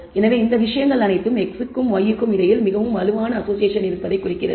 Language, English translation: Tamil, So, all of these things it is indicating that there is a really strong association between x and y